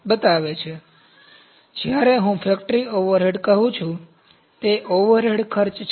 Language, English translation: Gujarati, So, when I say factory overhead, it is the overhead cost